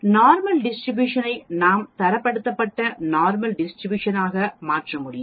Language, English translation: Tamil, The Normal Distribution we can convert it into Standardized Normal Distribution